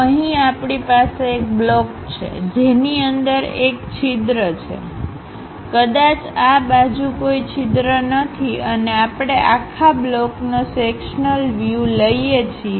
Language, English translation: Gujarati, Here we have a block, which is having a hole inside of that; perhaps there is no hole on this side and we will like to consider a sectional view of this entire block